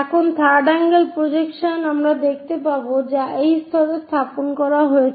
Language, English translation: Bengali, So, we will see in third angle projection the top view now, placed at this level